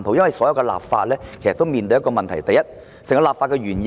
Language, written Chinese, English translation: Cantonese, 我們立法時要面對一個問題，便是立法原意是甚麼？, We have to face a question when enacting legislation ie . what is the original legislative intent?